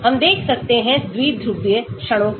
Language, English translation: Hindi, we can look at dipole moments